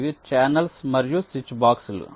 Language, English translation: Telugu, they are called channels or switch boxes